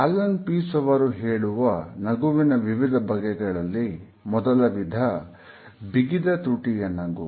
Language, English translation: Kannada, The first type of a smile which has been hinted at by Allen Pease is the tight lipped smile